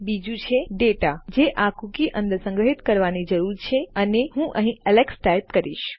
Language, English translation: Gujarati, The second one is the data that needs to be stored inside this cookie and Ill type Alex here